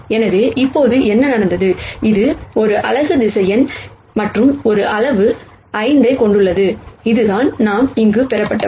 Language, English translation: Tamil, So now what has happened is this is a unit vector and this a has magnitude 5, which is what we derived here